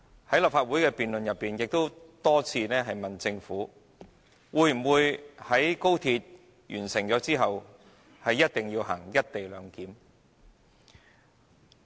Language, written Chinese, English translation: Cantonese, 在立法會辯論中，議員也多次問及政府會否在高鐵完工後實行"一地兩檢"。, In Council debates Members also repeatedly questioned whether the Government would implement the co - location arrangement after the completion of XRL